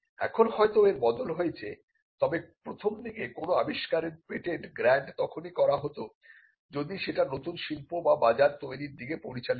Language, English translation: Bengali, It may not be true now, but initially patents were granted if that invention would lead to the creation of a new industry or a market